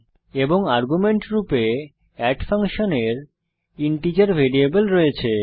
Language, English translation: Bengali, And our add function has integer variable as an argument